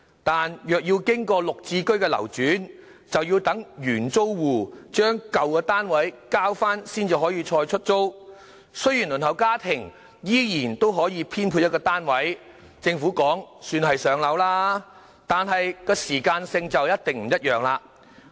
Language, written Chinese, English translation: Cantonese, 但若要經過"綠置居"的流轉，便要等原租戶將舊單位交回再出租，雖然輪候家庭依然可以獲編配一個單位，政府說這也算是上到樓，但時間就一定不一樣。, Although households on the Waiting List can still be allocated a unit eventually and the Government considers an allocation done but the time needed is definitely different . Take King Tai Court which was ready for occupation in July as an example